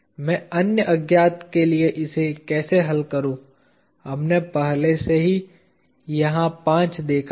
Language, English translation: Hindi, How do I solve for the other unknowns, we already saw five here, five there